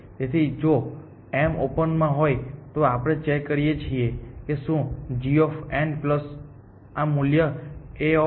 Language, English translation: Gujarati, So, if m belongs to open, then we do a check if g of n plus this value A of n m